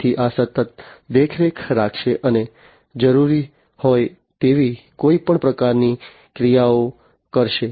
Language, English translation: Gujarati, So, this will continuously monitor, and do any kind of actuation that might be required